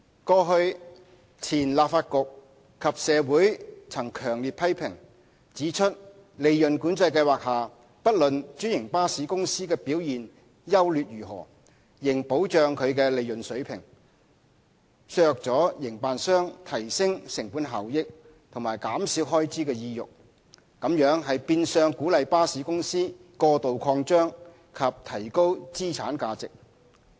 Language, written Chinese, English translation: Cantonese, 過去，前立法局及社會曾強烈批評，指出在利潤管制計劃下，不論專營巴士公司的表現優劣如何，仍保障其利潤水平，削弱了營辦商提升成本效益和減少開支的意欲，這變相鼓勵巴士公司過度擴張及提高資產價值。, In the past the then Legislative Council and the community had strongly criticized that PCS would guarantee the franchised bus companies a profit level irrespective of their performance thereby reducing the operators incentive to enhance cost - effectiveness and reduce expenditure . This in effect encouraged the franchised bus companies to over expand and inflate their asset values